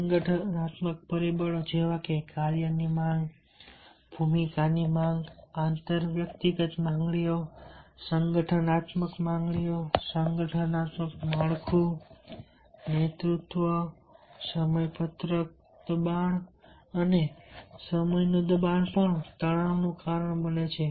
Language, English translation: Gujarati, organizational factors like task demands, the role demands, inter personal demands, organizational demands, organizational structure, leadership schedule pressure and time pressure also causes stress